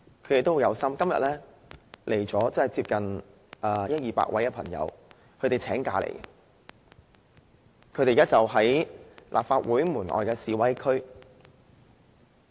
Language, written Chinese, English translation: Cantonese, 他們都很有心，今天有一二百人請假到來，現時就在立法會門外的示威區。, They are zealous . Today one to two hundred of them have taken leave from work and come here . They are in the demonstration area outside the Legislative Council Complex right now